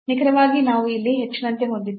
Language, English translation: Kannada, So, exactly we have this is like h here